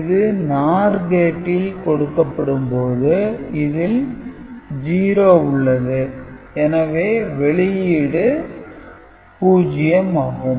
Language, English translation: Tamil, So, this NOR gate output, now all the inputs are 0 so, this output will now become 1